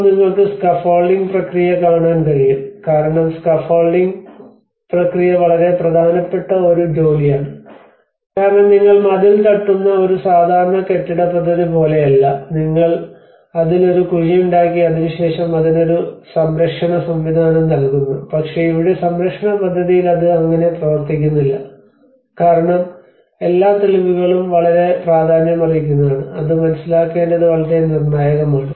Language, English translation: Malayalam, \ \ \ So, now you can see the scaffolding process because in the scaffolding process is a very important task because you do not need to like in a normal building project you hit the wall, you puncher it and then you try to keep a support system, but here in conservation project, it does not work like that, you have to because each and every evidence is much more important significant and it is very critical to understand that